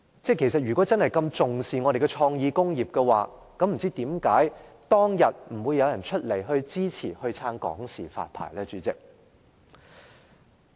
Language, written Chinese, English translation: Cantonese, 如果政府真的這麼重視創意工業，為甚麼當天沒有人支持向港視發牌呢？, If the Government really attaches so much importance to creative industries how come no one supported HKTVNs licence application at that time?